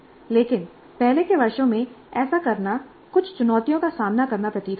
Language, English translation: Hindi, But doing this in earlier years does seem to pose certain challenges